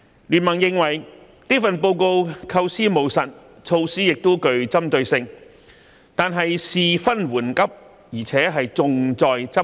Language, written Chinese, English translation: Cantonese, 經民聯認為這份報告構思務實，措施亦具針對性，但事分緩急，而且重在執行。, BPA is of the view that this Policy Address is pragmatic in its conception with targeted measures . While priority - setting is important policy implementation is equally important